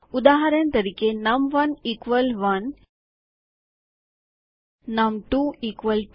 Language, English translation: Gujarati, So for example num1 = 1 num2 = 2